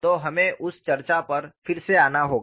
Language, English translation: Hindi, So, we will have to come back to that discussion again